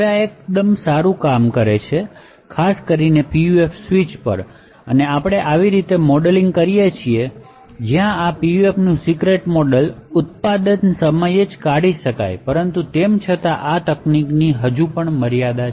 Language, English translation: Gujarati, Now this works quite well, especially on PUF switch and we actually modelling such a way where the secret model of this PUF can be extracted at the manufactured time but nevertheless this technique still has a limitation